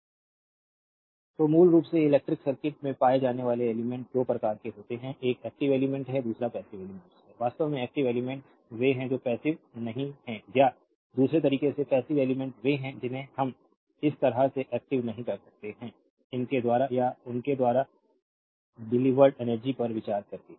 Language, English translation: Hindi, So, basically there are 2 types of elements found in electric circuit one is active element, another is passive elements, actually active elements are those, which are not passive or in the other way passive elements are those we cannot active something like this right, by considering the energy delivered to or by them right